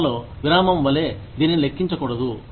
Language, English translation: Telugu, This should not be counted, as a break in service